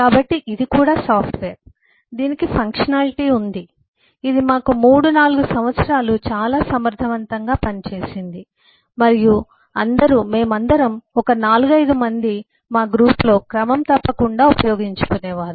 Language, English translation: Telugu, this, this had functionality, this has, eh em, this has served us for about 3, 4 years quite effectively and eh all, all of us, some 4, 5 of us in the group, used to regularly use that